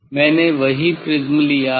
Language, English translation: Hindi, I have taken the same prism